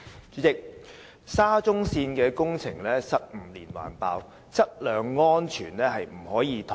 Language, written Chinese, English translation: Cantonese, 主席，沙田至中環線的工程失誤連環爆，質量安全絕對不可以妥協。, President a series of faulty construction works of the Shatin to Central Link SCL has reminded us that quality and safety must never be compromised